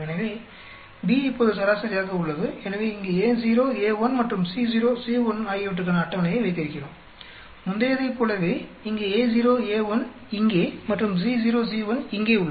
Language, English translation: Tamil, So, B is now averaged out so we have a table for A naught, A1 here and C naught, C1 just like the previous one here we have A naught A1 here and C naught C1 here